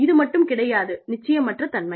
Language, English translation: Tamil, It is not one, of course, uncertainty